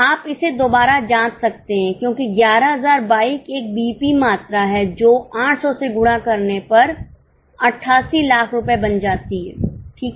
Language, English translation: Hindi, You can cross check it also because 11,000 bikes is a BEP quantity multiplied by 800 that is nothing but rupees, 88 lakhs